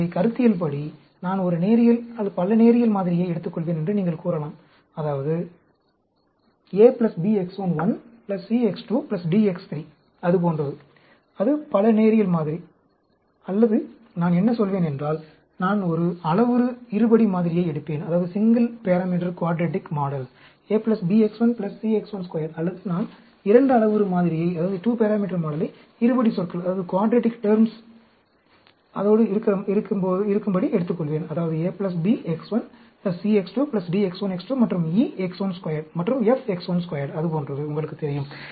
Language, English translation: Tamil, So, a priori you say I will take a linear, multi linear model; that means, a plus b X1 1, plus c X 2, plus d X3, like that; that is a multi linear model; or, I will say, I will take a single parameter quadratic model, a plus b x 1, plus c x 1 square; or, I will take a 2 parameter model with quadratic terms; that means, a plus b, X1 plus c X2, plus d X1 x 2, and e X1 square plus f X1 square; like that, you know